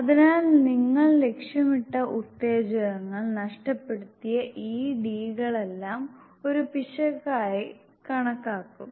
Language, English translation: Malayalam, So all these d s which you missed the target stimuli will be counted as an error